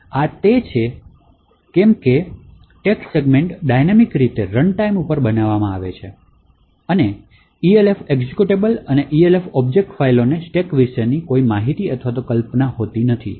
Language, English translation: Gujarati, So this is because the text segment is created dynamically at runtime and the Elf executable and the Elf object files do not have any notion about stack